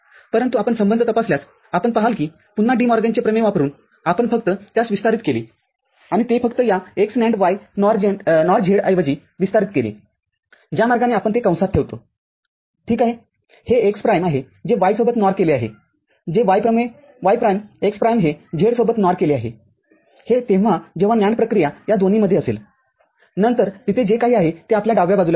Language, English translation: Marathi, But, if you check the relationship then you will see that again using De Morgan’s theorem if you just expanded and put it together instead of this x NAND y NOR z the way put it in parenthesis it is x prime NOR with y which y prime x prime NOR with z which is when there is a NAND operation between these two then we shall get whatever it is there in the left NAND side